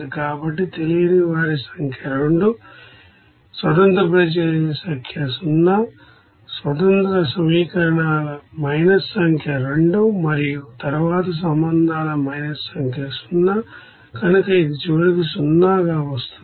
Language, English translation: Telugu, So number of unknowns is 2, number of independent reactions is 0 minus number of independent equations is 2 and then minus number of relations is 0, so it will be coming as finally 0